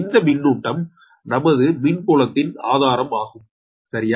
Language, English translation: Tamil, so electric charge actually is a source of your electric field, right